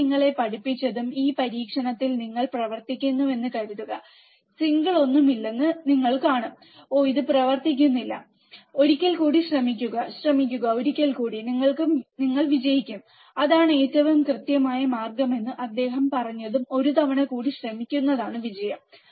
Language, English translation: Malayalam, Suppose you work on this experiment what I have taught you, and you will see there is no single and you said, oh, this is not working do that try once again, try once again, you will succeed that is what he also said that the most certain way to succeed is to try one more time